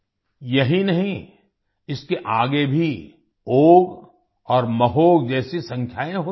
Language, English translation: Hindi, Not only this, there are numbers like Ogh and Mahog even after this